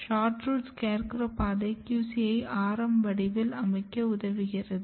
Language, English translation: Tamil, SHORTROOT SCARECROW pathway basically they are helping in positioning QC in radial manner